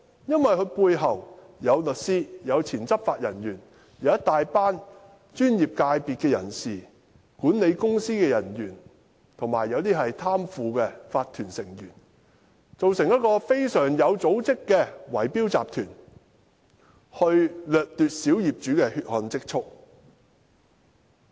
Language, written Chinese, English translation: Cantonese, 因為他背後有律師、前執法人員、一大群專業人士、管理公司人員，還有一些貪腐的法團成員，組成一個非常有組織的圍標集團，掠奪小業主的"血汗"積蓄。, Because behind him there were lawyers former law enforcement officers a large group of professionals staff members of management companies and corrupt members of owners corporations OCs who formed a highly organized bid - rigging syndicate to seize the hard - earned savings of minority owners